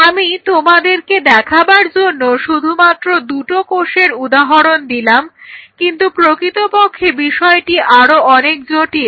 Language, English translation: Bengali, I am just taking example of two cells to show you, but this could be way more complex